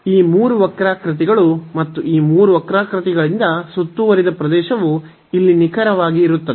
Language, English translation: Kannada, So, these 3 curves and the area bounded by these 3 curves will be precisely this one here